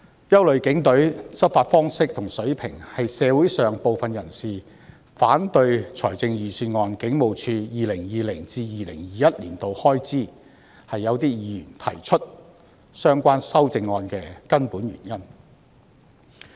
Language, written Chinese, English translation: Cantonese, 憂慮警隊的執法方式和水平，是社會上部分人士反對預算案中警務處 2020-2021 年度的開支及議員提出相關修正案的根本原因。, Concern over the Polices enforcement practice and standards is the fundamental reason why some members of the public oppose the estimated expenditure of HKPF in the Budget for 2020 - 2021 and why Members have proposed the relevant amendments